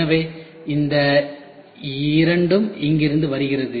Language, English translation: Tamil, So, these two comes from here ok